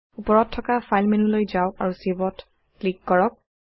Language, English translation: Assamese, Go to File menu at the top, click on Save